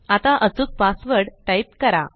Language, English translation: Marathi, Now type the correct password